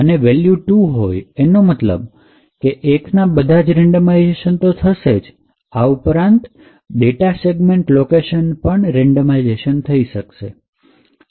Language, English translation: Gujarati, With the value of 2, what it means is that, it achieves all the randomization that is achieved with 1 as well as the data segment location are also randomized